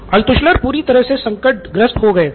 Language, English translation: Hindi, So Altshuller should have been totally crestfallen